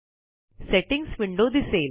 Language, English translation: Marathi, The Settings window appears